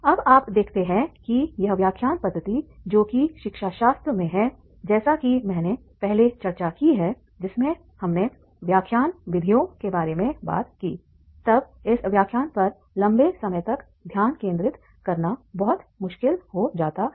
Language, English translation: Hindi, Now you see that is the lecture method, as I earlier discussed it is in the pedagogy, whenever we talk about the lecture methods, then for the long time to concentrate on the lecture it becomes very difficult